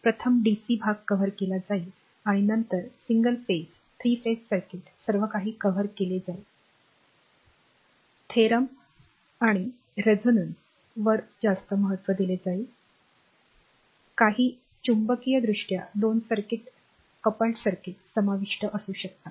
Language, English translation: Marathi, And your first the dc part will be covered and then your single phase, three phases is circuit everything will be covered may have your including resonance or maximum importance for theorem and your what you call that magnetically couple circuits